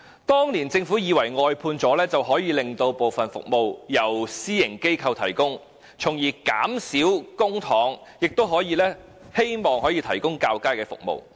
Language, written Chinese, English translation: Cantonese, 當年政府以為外判安排可以令部分服務轉由私營機構提供，從而以較少的公帑提供較佳的服務。, Back then the Government thought outsourcing arrangements could allow some services to be provided by private organizations so that better services would be provided with less public money